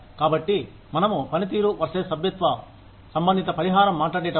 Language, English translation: Telugu, So, when we talk about, performance versus membership related compensation